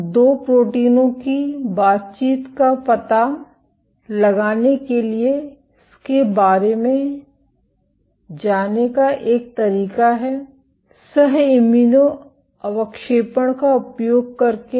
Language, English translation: Hindi, So, one way to go about it to find out the interaction of 2 proteins is using Co Immuno Precipitation